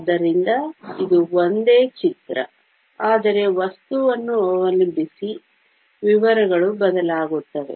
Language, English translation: Kannada, So, it is a same picture, but depending upon the material, the details will change